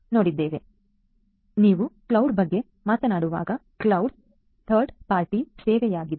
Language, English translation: Kannada, So, when you are talking about cloud; cloud is typically a third party service